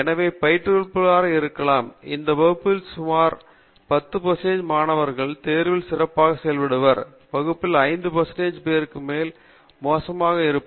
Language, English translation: Tamil, So, the instructor may be able to say, okay in this class may be about 10 percent of the students will do very well in the exams, may be 5 percent of the class will do pretty badly